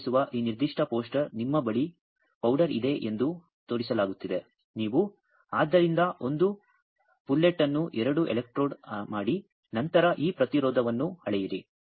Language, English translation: Kannada, This particular poster you show it is being showed that you have a powder you make a pullet out of it make two electrode and then measure this resistance